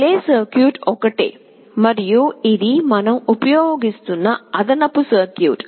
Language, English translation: Telugu, The relay circuit is the same, and this is the additional circuit we are using